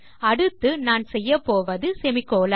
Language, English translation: Tamil, Okay so the next one Im going to do is the semicolon